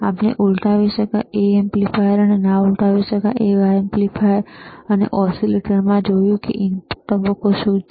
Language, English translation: Gujarati, Wwe have seen in inverting amplifier, we have seen in non inverting amplifier, and iwe have seen in oscillators, that what is the input phase